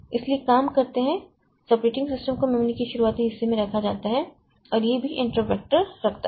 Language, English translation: Hindi, So, so this operating system is put at the beginning part of the memory and that also holds the intervector